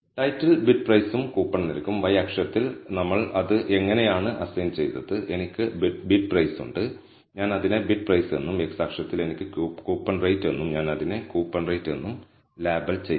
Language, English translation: Malayalam, So, the title is bid price versus coupon rate like how we have assigned it on the y axis I have bid price and I have labeled it as bid price and on the x axis, I have coupon rate and I have labeled it as coupon rate